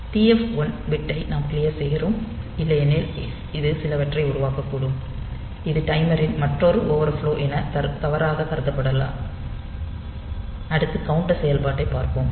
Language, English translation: Tamil, So, that it will be, but we have to clear this TF 1 bit otherwise it may create some this maybe mistakenly take considered as another overflow of the timer, next we look into the counter operation